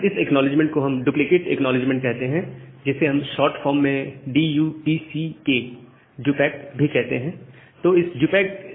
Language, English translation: Hindi, So, this called a duplicate acknowledgement or in short form DUPACK